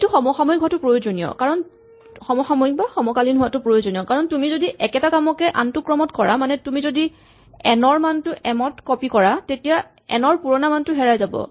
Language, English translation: Assamese, Now it is important that it is simultaneous, because if you do it in either order, if you first copy the value of n into m, then the old value of n is lost